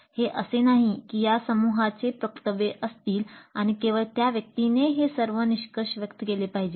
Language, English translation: Marathi, It's not like there is a spokesman for the group and only that person expresses all these conclusions